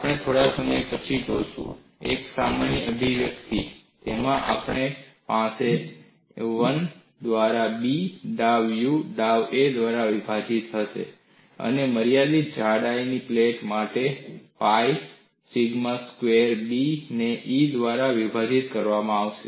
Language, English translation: Gujarati, We would see a little while later, a generic expression; in that we would have this as 1 by b dou U a divided by dou a, and for a finite thickness plate, this will be modified to pi sigma squared b a divided by E